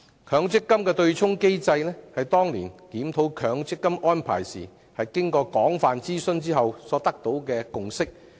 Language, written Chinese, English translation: Cantonese, 強積金對沖機制是當年檢討強積金安排時，經過廣泛諮詢後取得的共識。, The MPF offsetting mechanism was a consensus reached after extensive consultation during the review of the MPF arrangements back then